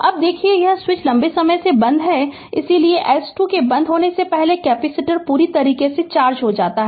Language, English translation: Hindi, Now, look this switch was closed for long time, hence before S 2 is closed the capacitor is fully charged